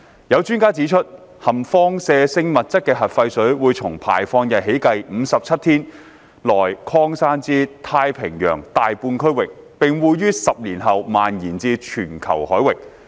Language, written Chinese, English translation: Cantonese, 有專家指出，含放射性物質的核廢水會從排放日起計57天內擴散至太平洋大半區域，並會於10年後蔓延至全球海域。, Some experts have pointed out that the nuclear wastewater containing radioactive substances will disperse across more than half of the Pacific Ocean within 57 days from the day of discharge and spread over to all waters around the world in 10 years time